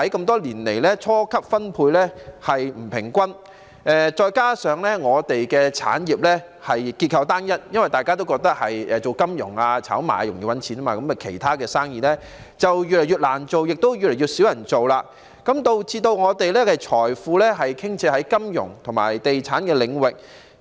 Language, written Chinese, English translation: Cantonese, 多年來，初級分配不平均，再加上我們的產業結構單一，因大家都覺得做金融、炒賣容易賺錢，其他生意就越來越難做，亦越來越少人做，導致我們的財富傾斜於金融和地產領域。, What is more our industrial structure remains homogeneous as people think that it is easy to make money through the financial market and speculative activities . With other businesses facing increasing difficulty and dwindling popularity our wealth is tilted towards the realms of finance and real estate